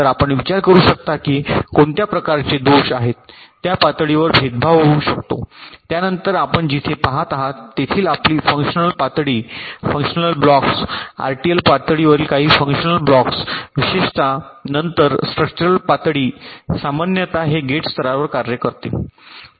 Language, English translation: Marathi, then your functional level, where you are looking a the functional blocks, some of the funtional blocks at the rtl level typically, then structural level, typically this works at the gate level